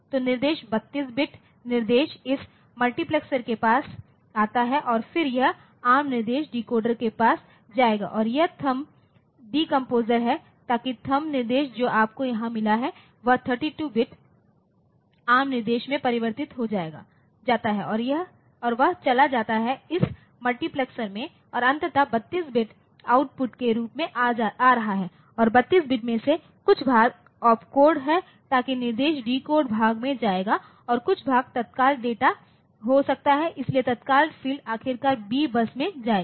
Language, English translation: Hindi, So, the instruction 32 bit instruction comes to this multiplexer and then it will be going to the ARM instruction decoder or it is from the THUMB decompressor so that the THUMB instruction that you have got here is converted into 32 bit ARM instruction and that goes to this multiplexer and ultimately the 32 bit is coming as output and out of the 32 bit some portion is the opcode so that will go to the instruction decoder part and some portion is may be the immediate data, so, immediate field